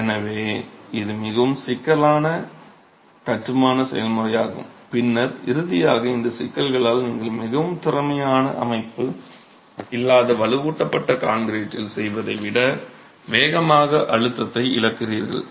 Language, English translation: Tamil, So, it's a very cumbersome process of construction and then finally because of these issues you lose the pre stress faster than you would do in reinforced concrete, you don't have a very efficient system